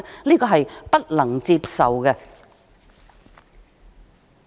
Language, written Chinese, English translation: Cantonese, 這是不能接受的。, This is unacceptable